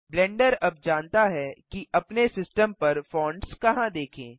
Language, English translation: Hindi, Blender now knows where to look for the fonts on our system